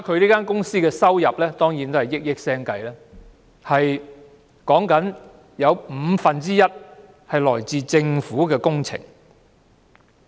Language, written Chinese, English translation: Cantonese, 這間公司的收入當然是以億元計，但原來其中五分之一是來自政府工程。, Among the revenue of the company amounting to hundreds of millions of dollar a year one fifth of which comes from government contracts